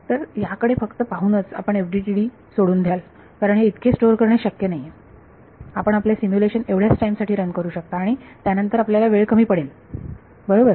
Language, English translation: Marathi, So, just looking at this you would just give up on FDTD because it is not possible to store so much, you will only be able to run your simulation for so much time and then you will run out of time right